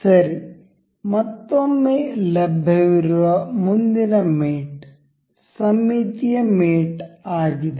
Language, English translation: Kannada, Ok again so, the next mate available is here is symmetric mate